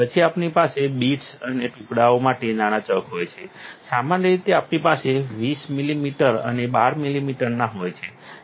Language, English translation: Gujarati, Then we have small chuck for bits and pieces, normally we have a 20 millimeter and 12 millimeters